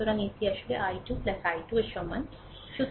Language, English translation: Bengali, So, it is actually is equal to i 2 plus i 3, right